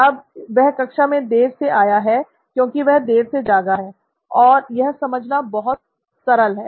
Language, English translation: Hindi, Now he has come late to class because he is late to wake up, as simple as that